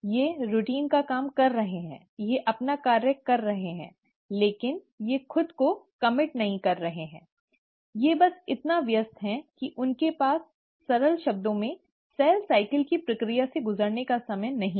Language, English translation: Hindi, They are doing the routine job, they are doing their function, but, they are not committing themselves, they are just so busy that they just don’t have time to undergo the process of cell cycle in simple terms